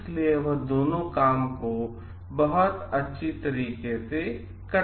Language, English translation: Hindi, So, he can do both the jobs very well